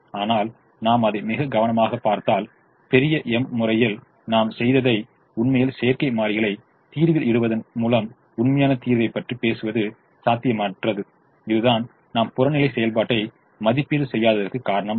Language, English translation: Tamil, but if we look at it it very carefully, what we did in the big m method, by actually putting the artificial variables in the solution, actually speaking the solution was infeasible